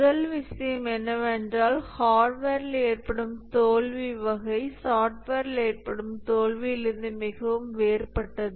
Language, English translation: Tamil, The first thing is that the type of failure that occur in hardware is very different from the failure that occurs in software